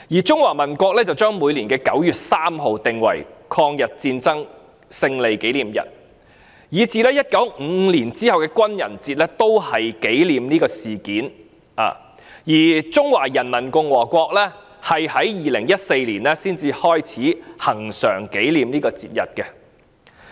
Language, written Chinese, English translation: Cantonese, 中華民國將每年的9月3日訂為抗日戰爭勝利紀念日，以至1955年之後的軍人節也是紀念這事件，而中華人民共和國則於2014年才開始恆常紀念這節日。, The Republic of China has designated 3 September each year as the commemorative day of the victory of the War of Resistance against Japanese Aggression and the Armed Forces Day was also designated to commemorate this incident since 1955 . Yet the Peoples Republic of China only started to commemorate this incident annually since 2014